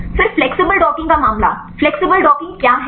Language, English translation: Hindi, Then the case of flexible docking what is flexible docking